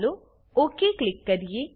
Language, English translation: Gujarati, Lets click OK